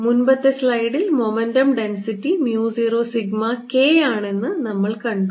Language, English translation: Malayalam, we saw in the previous slide that the momentum density was mu zero sigma k